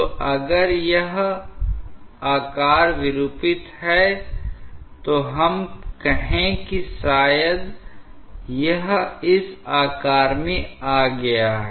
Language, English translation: Hindi, So, if it is shape is distorted, let us say that maybe it has come to this shape